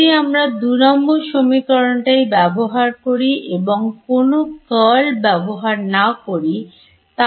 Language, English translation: Bengali, If I take equation 2 itself and do not apply any curls what happens here